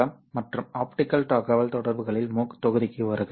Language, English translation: Tamil, Hello and welcome to the MOOC module on optical communications